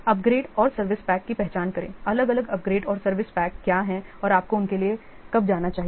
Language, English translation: Hindi, Identify the upgrades and service packs, what are the different upgrades and the service packs and when you should go for them that identify